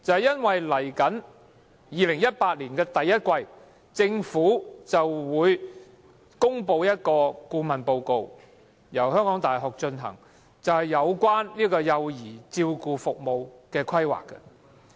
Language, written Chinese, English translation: Cantonese, 因為在2018年第一季，政府便會公布由香港大學進行，有關幼兒照顧服務規劃的顧問報告。, Because the Government will in the first quarter of 2018 publish a consultancy report on child care services planning by the University of Hong Kong